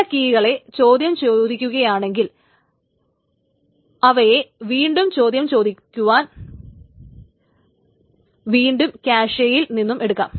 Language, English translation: Malayalam, So certain keys if it has been queried, it can be again queried just from the cache